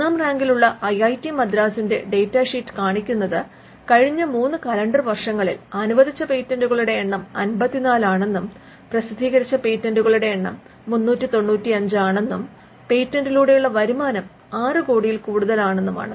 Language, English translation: Malayalam, For instance, IIT Madras which has been ranked 1, the data sheet shows that the number of patents granted is 54 in the last 3 calendar years and the number of published patents is 395 and the earnings through patent is also mentioned that in excess of 6 crores